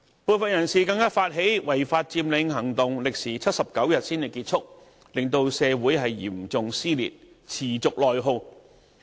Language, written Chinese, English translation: Cantonese, 部分人士更發起違法佔領行動，歷時79天才結束，令社會嚴重撕裂，持續內耗。, There were also people who went as far as initiating an illegal occupation movement which lasted for a total of 79 days causing serious dissension and continued internal attrition to society